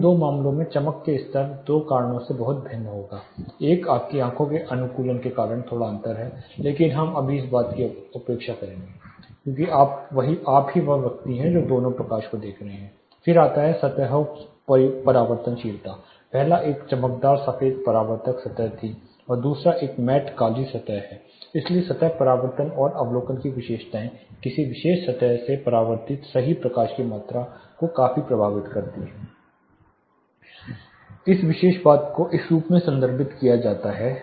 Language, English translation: Hindi, The brightness level these two cases will be drastically different because two reasons one is your eye adaptation of course, there is a slight difference, but even neglecting that you know you are the same person is made to watch this same is judging the light levels then comes the reflectivity of the surfaces the first one was a bright white reflecting surface the second is a mat black surface, so the surface reflectivity and observity characteristics drastically effects the amount of right light reflected of a particular surface, this particular things is referred as brightness or luminance level which is measured as candela per meter square